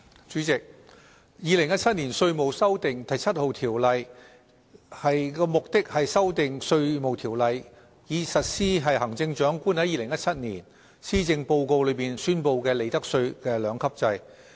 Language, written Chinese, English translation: Cantonese, 主席，《2017年稅務條例草案》的目的是修訂《稅務條例》，以實施行政長官在2017年施政報告中所宣布的利得稅兩級制。, President the Inland Revenue Amendment No . 7 Bill 2017 the Bill aims at amending the Inland Revenue Ordinance so as to implement the two - tiered profits tax rates regime announced by the Chief Executive in the 2017 Policy Address